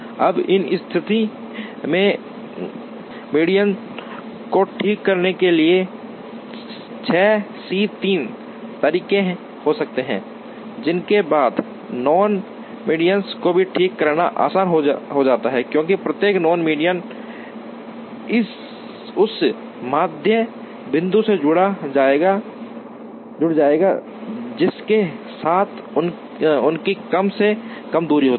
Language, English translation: Hindi, Now, in that case, there are can be 6 C 3 ways of trying to fix the medians, after which fixing the non medians becomes easy, because each non median will get attached to that median point, with which it has the least distance